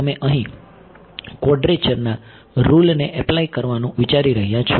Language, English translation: Gujarati, So you can think of applying quadrature rule over here